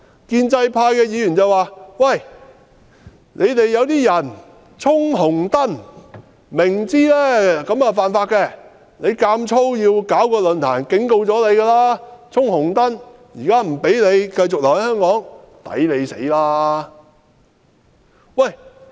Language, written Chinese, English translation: Cantonese, 建制派議員說，馬凱明知犯法，卻要強行舉辦論壇，這是"衝紅燈"，現在自然不能讓他繼續留在香港。, Pro - establishment Members said that Victor MALLET insisted on organizing the forum though he knew this was unlawful . He was actually jumping the red light and naturally he was not allowed to stay in Hong Kong